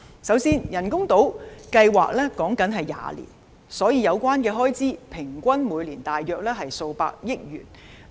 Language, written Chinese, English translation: Cantonese, 首先，人工島計劃歷時約20年，所以有關開支平均每年大約數百億元。, For one thing the artificial island construction project will last about 20 years so the average expenditure will be about tens of billions of dollars per annum